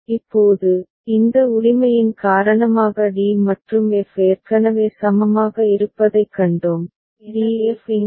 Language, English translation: Tamil, Now, we have seen that d and f are already equivalent because of this right and d f appears here, appears here